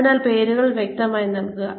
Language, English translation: Malayalam, So, give names clearly